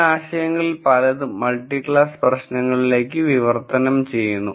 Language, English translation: Malayalam, Many of these ideas also translate to multi class problems